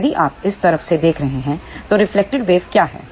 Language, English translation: Hindi, So, if you are looking from this side, what is reflected wave